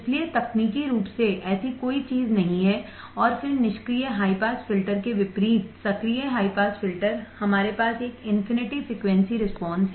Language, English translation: Hindi, So, technically there is no such thing and then active high pass filter unlike passive high pass filter we have an infinite frequency response